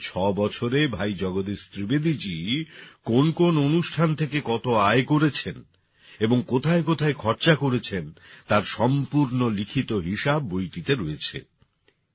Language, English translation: Bengali, The complete account of how much income Bhai Jagdish Trivedi ji received from particular programs in the last 6 years and where it was spent is given in the book